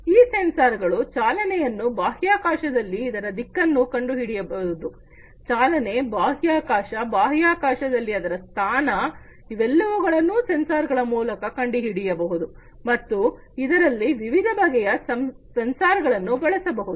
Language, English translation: Kannada, These sensors can detect the motion the direction in space, motion, space, you know, the position in space, all these things can be detected using these sensors and there could be different )different) types of sensors that would be used